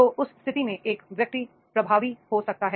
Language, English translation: Hindi, So, therefore in that case, the person can be more effective